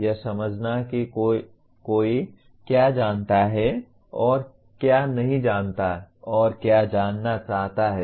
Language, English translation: Hindi, Understanding what one knows and what one does not know and what one wants to know